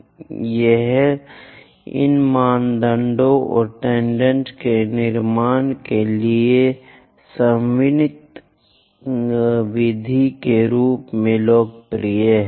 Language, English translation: Hindi, And this is popular as ordinate method for constructing these normal's and tangents